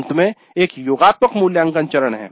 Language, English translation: Hindi, At the end there is a summative evaluate phase